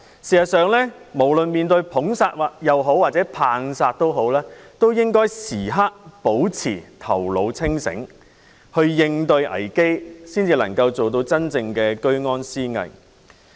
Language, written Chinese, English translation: Cantonese, "事實上，無論面對"捧殺"或"棒殺"也好，都應該時刻保持頭腦清醒，應對危機，才能夠真正做到居安思危。, In fact whether we are faced with excessive praises or excessive criticisms it is necessary to remain clear - headed at all times in response to crisis . Only then can we really remain vigilant in times of safety